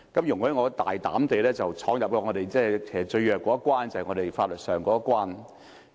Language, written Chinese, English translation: Cantonese, 容我大膽地闖入我們最弱的一關，便是法律這一關。, Allow me to boldly delve into our weakest part that is legality